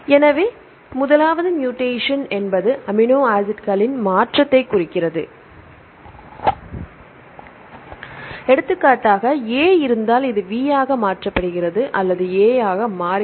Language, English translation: Tamil, So, first one is the mutation, mutation refers to the change of amino acids right for example if there is A and this is changed to V or is a V or change to A this mutation